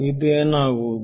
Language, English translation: Kannada, that is what is